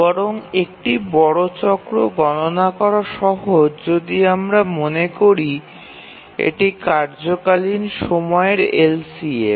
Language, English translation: Bengali, Major cycle is rather simple to compute if you remember it is the LCM of the task periods